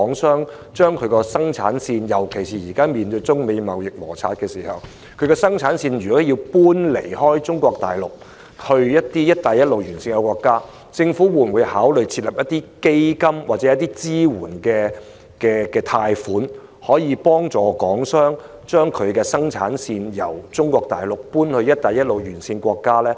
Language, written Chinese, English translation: Cantonese, 尤其是在現時面對中美貿易摩擦的情況下，如港商有意將生產線遷離中國大陸，轉移至"一帶一路"沿線國家，政府會否考慮設立基金或提供支援貸款，協助港商將生產線從中國大陸遷移到"一帶一路"沿線國家？, In particular for Hong Kong businessmen who wish to relocate their production lines from Mainland China to BR countries in the face of the Sino - United States trade conflicts now will the Government consider setting up a fund or providing support loans to facilitate them to do so?